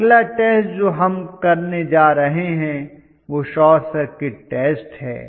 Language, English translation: Hindi, The next test that we are going to conduct is the short circuit test, yes